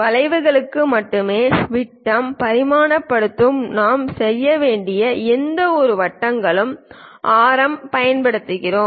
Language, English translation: Tamil, Only for arcs, we use radius for any kind of circles we have to go with diameter dimensioning